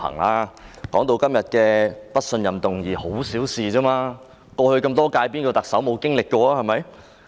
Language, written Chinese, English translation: Cantonese, 他指出今天的不信任議案只是小事，歷任特首中有誰未經歷過？, He pointed out that the no - confidence motion today is no big deal . Which Chief Executive in the past terms has not experienced it?